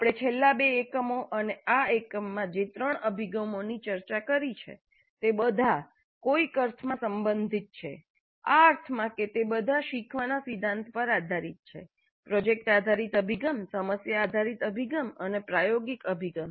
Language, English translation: Gujarati, And the three approaches which we have discussed in the last two units and this unit they are all related in some sense in the sense that they all are based on the principle of learning by doing, project based approach, problem based approach and experiential approach